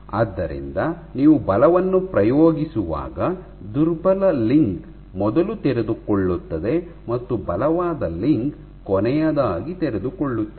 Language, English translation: Kannada, So, when you are exerting force then the weakest link will unfold first and the strongest link will unfold last